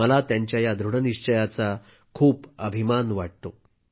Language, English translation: Marathi, I am proud of the strength of her resolve